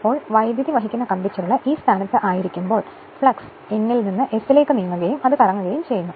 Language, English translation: Malayalam, Now when the coil is in like this position right, so flux moving from N to S and it is revolving